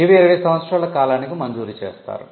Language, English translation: Telugu, They are granted for a period of 20 years